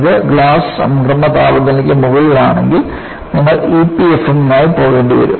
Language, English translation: Malayalam, If it is above glass transition temperature, then you will have to go for E P F M